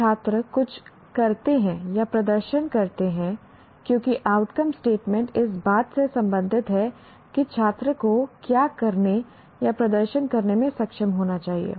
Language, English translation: Hindi, When students do or perform, because outcome statement is related to what students should be able to do or perform